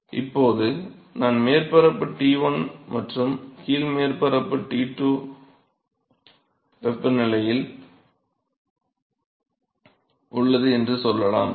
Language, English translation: Tamil, So now, if I maintain let us say that I maintain the temperature of the top surface ass T1 and the bottom surface as T2